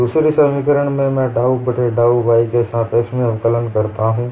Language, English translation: Hindi, In the second expression I differentiate with respect to dou by dou y